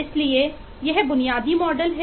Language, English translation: Hindi, So that’s the basic model